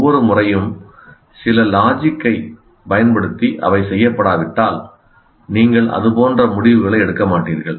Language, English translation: Tamil, If they are not done every time through logical, using certain logic, you do not make decisions like that